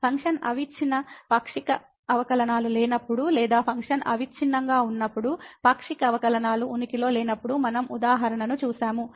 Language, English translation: Telugu, We have seen the example when the function was not continuous partial derivatives exist or the function was continuous, partial derivative do not exist